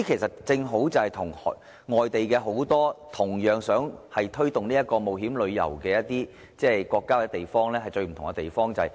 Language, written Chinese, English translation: Cantonese, 這正是與很多同樣想推動冒險旅遊的國家或地區的最大分別。, This is the greatest difference between Hong Kong and other countries or regions that intend to promote adventure tourism